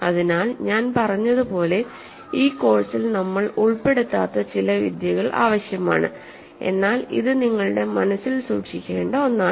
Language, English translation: Malayalam, So, as I said this requires some techniques that we are not going to cover in this course, but it is something for you to keep in your mind